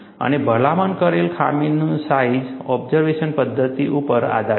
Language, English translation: Gujarati, And the recommended flaw size is based on the inspection method